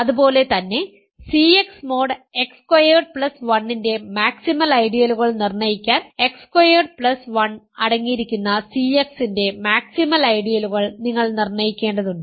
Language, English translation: Malayalam, Similarly, to determine the maximal ideals of C X mod X squared plus 1, you need to determine the maximal ideals of C X that contain X squared plus 1 ok